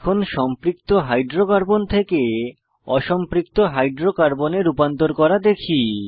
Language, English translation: Bengali, Let us learn to convert Saturated Hydrocarbons to Unsaturated Hydrocarbons